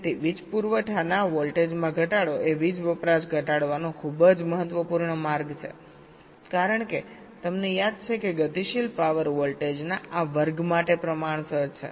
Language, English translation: Gujarati, so reduction of power supply voltage is also very, very important way to reduce the power consumption because, you recall, dynamic power is proportional to this square of the voltage